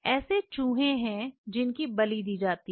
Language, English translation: Hindi, There are RATs which are being sacrificed right